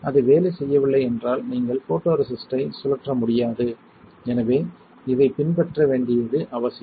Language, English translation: Tamil, And if it does not work you cannot spin the photoresist, so this is all important to follow